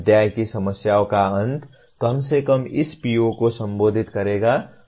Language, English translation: Hindi, The end of the chapter problems will at least moderately address this PO